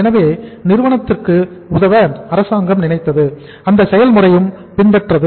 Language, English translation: Tamil, So government thought of helping the company and that process was also followed